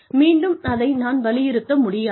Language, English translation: Tamil, Again, I cannot stress on this enough